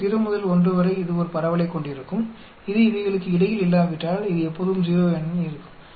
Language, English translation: Tamil, So 0 to 1 it will have a distribution, if it is not between these it will be always 0 otherwise